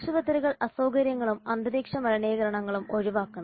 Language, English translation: Malayalam, Hospital should avoid inconvenience and atmospheric pollution